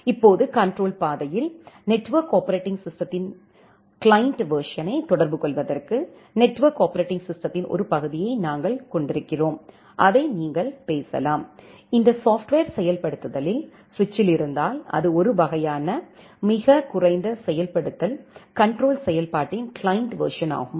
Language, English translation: Tamil, Now at the control path, we are having a part of the network operating system to interact the client version of the network operating system you can talk it, if it is there in this software implementation in the switch that is a kind of very minimal implementation of the control functionality just a client version of it